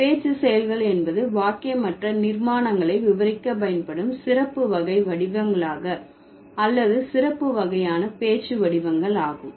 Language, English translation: Tamil, Speech acts are the special kind of forms or the special kind of speech forms which are used to describe non statement constructions